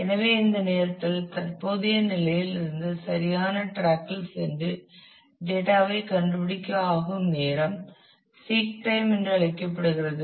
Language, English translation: Tamil, So, this time it takes to go from current position to the correct track where, I find the data is called the seek time